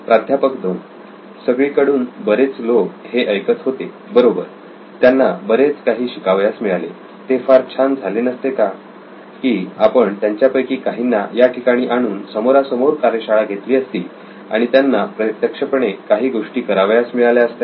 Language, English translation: Marathi, A number of people have been listening to this from all over, right they have probably learnt a lot, would not it be nice if we actually brought some of them here, did a workshop face to face and actually had them do something